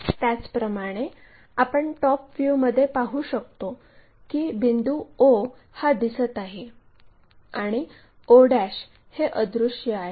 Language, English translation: Marathi, So, when we are looking at this in the top view, o will be visible o one will be invisible